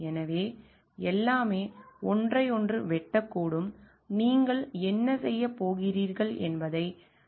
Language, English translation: Tamil, So, everything may cut one through the other and we do not have like to decide what you are going to do